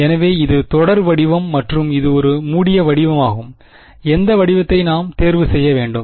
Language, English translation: Tamil, So, this is the series form and that was a closed form which form should we chose